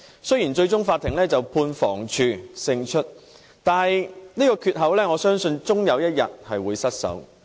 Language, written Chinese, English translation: Cantonese, 雖然最終法院判房屋署勝訴，但這個缺口我相信終有一天會失守。, Although the Court eventually ruled in favour of the Housing Department I believe this gap will eventually be breached